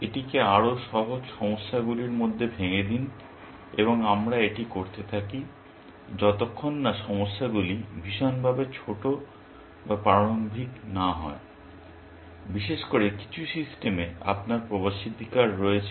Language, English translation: Bengali, Break it down into simpler problems and we keep doing this, till the problems are severely small or primitives, that you have access to in some systems, especially